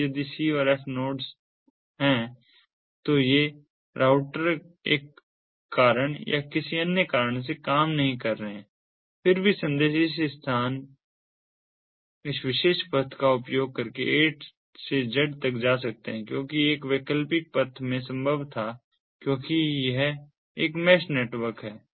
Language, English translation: Hindi, now, if the nodes c and f these routers are down for one reason or another, the messages can still go from a to z using this particular path, because an alternative path was possible to have in, because its a mesh network